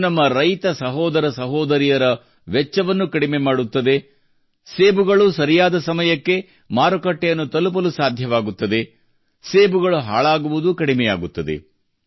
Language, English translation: Kannada, This will reduce the expenditure of our farmer brothers and sisters apples will reach the market on time, there will be less wastage of apples